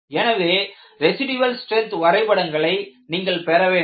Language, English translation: Tamil, So, you need to get what are known as residual strength diagrams